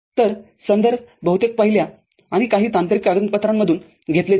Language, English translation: Marathi, So, references are mostly taken from the first one and some technical documents